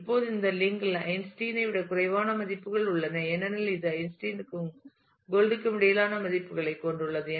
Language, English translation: Tamil, Now this link has values which are less than Einstein as you can see this has values which are between Einstein and Gold